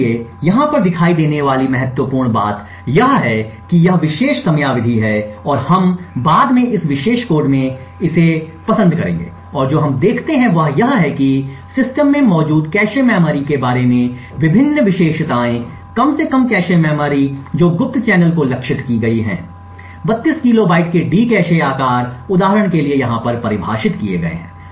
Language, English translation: Hindi, So, important thing showing here is this particular time period and we will prefer to this later on in this particular code and what we see is that various attributes about the cache memory present in the system at least the cache memory that has been targeted for this covert channel has been defined over here for example the D cache size of 32 kilobytes